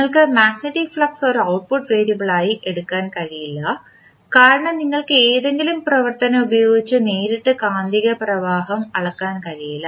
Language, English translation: Malayalam, You can not take the magnetic flux as a output variable because you cannot measure the magnetic flux directly using any operation